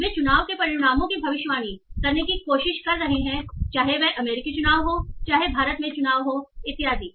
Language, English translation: Hindi, So they are trying to predict the outcomes of elections, whether it is the US elections, whether it is elections in India and so on